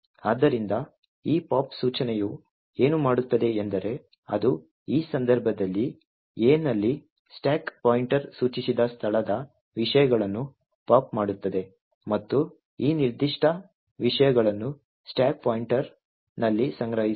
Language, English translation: Kannada, So, what this pop instruction does is that it pops the contents of the location pointed to by the stack pointer in this case A and stores these particular contents in the stack pointer